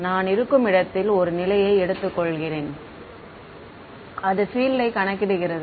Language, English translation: Tamil, Let me take one position over here of the where I am calculating the field